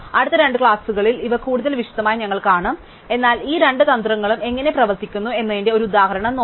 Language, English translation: Malayalam, So, we will see these in more detail in the next 2 lectures, but let us just look at an initiative example of how these two strategies work